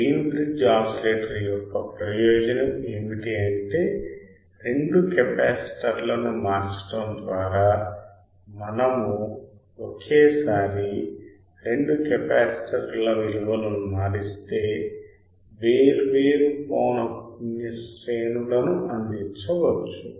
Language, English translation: Telugu, Advantage of Wein bridge oscillator is that by varying two capacitors; we if we varying two capacitors simultaneously right different frequency ranges can be provided